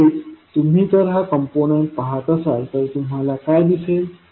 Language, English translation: Marathi, So, if you see this particular component what you can see